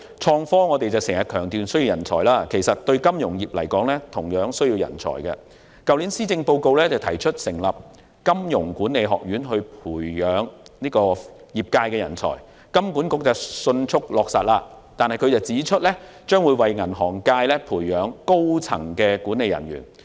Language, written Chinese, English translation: Cantonese, 財政司司長在 2018-2019 年度的財政預算案提出成立金融學院培訓業界人才，金管局迅速落實相關建議，並表示該學院將為銀行業界培養高層管理人員。, In the 2018 - 2019 Budget the Financial Secretary proposed the establishment of an Academy of Finance in Hong Kong to train talents in the financial services industry . In response HKMA took forward this initiative quickly and stated that the Academy would nurture senior management personnel for the banking industry